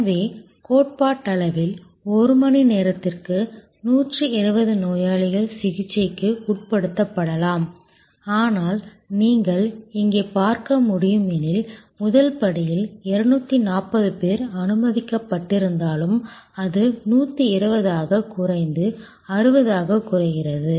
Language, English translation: Tamil, So, which means theoretically speaking 120 patients could be processed per hour, but as you can see here even though 240 people were let through the first step that drop to 120 that drop to 60